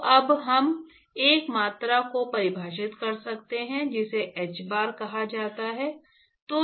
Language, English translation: Hindi, So now, we can define a quantity called hbar